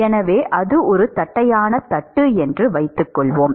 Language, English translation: Tamil, So, supposing it is a flat plate